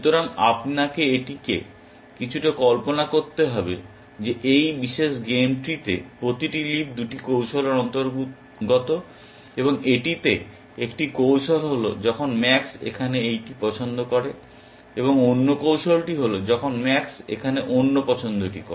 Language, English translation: Bengali, So, you need to visualize this a little bit, that in this particular game tree every leaf belongs to 2 strategies, and that is the one strategy is when max makes this choice here, and the other strategy is when max makes the other choice here